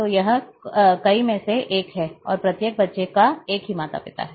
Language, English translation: Hindi, So, it is one to many and each child has one only one parent